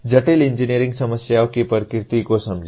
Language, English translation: Hindi, Understand the nature of complex engineering problems